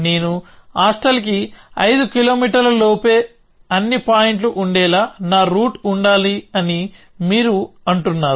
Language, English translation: Telugu, You say that my route must be such that all points I must be within 5 kilometers of a hostel